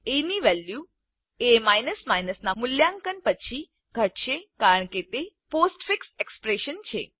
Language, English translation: Gujarati, As value will be decremented after a is evaluated as its a postfix expression